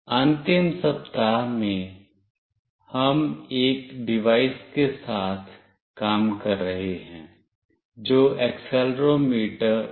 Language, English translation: Hindi, In the final week, we have been working with one of the device that is accelerometer